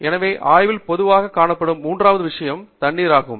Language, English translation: Tamil, So, then, the third thing that is commonly present in labs is water